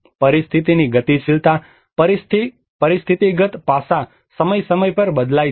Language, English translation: Gujarati, The dynamics of the situation, the situational aspect changes from time to time